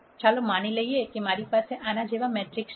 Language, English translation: Gujarati, Let us assume that I have a matrix such as this